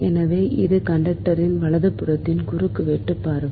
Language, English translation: Tamil, so this is the cross sectional view of the conductors right